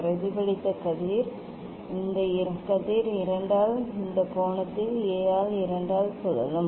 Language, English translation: Tamil, reflected ray; reflected ray this ray will rotated by 2 into this angle A by 2 so A